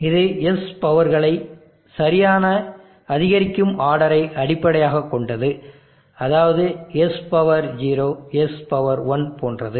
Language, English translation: Tamil, This is basically from the right increasing order of the powers of S, S0, S1 like